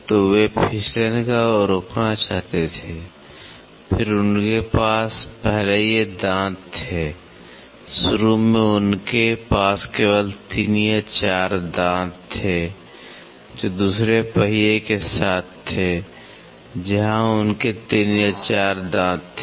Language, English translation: Hindi, So, they wanted to stop the slip, then they had these tooth first initially they had only 3 or 4 tooth meshing with another wheel where they had 3 or 4 tooth